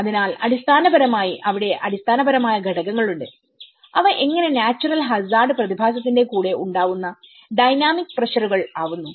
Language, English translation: Malayalam, So, this is basically, there is also the underlying factors and how they actually the dynamic pressures which are actually creating with the natural hazard phenomenon